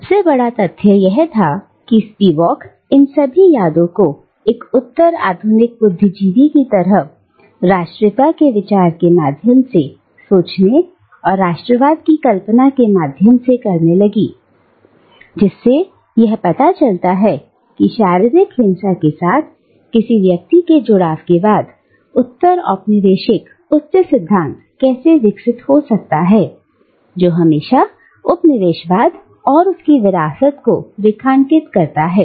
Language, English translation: Hindi, And the very fact that Spivak recalls these memories later on as a postcolonial intellectual to think through the idea of nationalism and the role of aesthetic imagination in conceiving nationalism, this shows how postcolonial high theory can grow out of one's engagement with the physical violence that has always underlined colonialism and its legacies